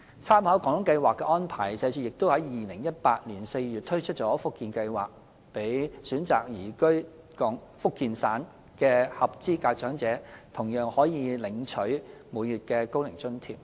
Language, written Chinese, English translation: Cantonese, 參考"廣東計劃"的安排，社署在2018年4月推出了"福建計劃"，讓選擇移居福建省的合資格長者同樣可每月領取高齡津貼。, With reference to the arrangements of the Guangdong Scheme SWD introduced the Fujian Scheme in April 2018 under which eligible Hong Kong elderly persons who choose to reside in Fujian are also able to receive monthly OAA